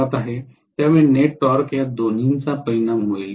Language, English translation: Marathi, So the net torque will be the resultant of these two